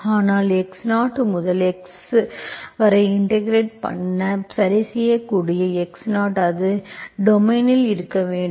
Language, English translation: Tamil, But you will have integral from x0 to x, x0 you can fix, that should be in your domain